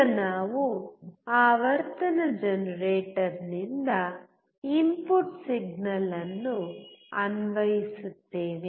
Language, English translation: Kannada, Now we apply the input signal from the frequency generator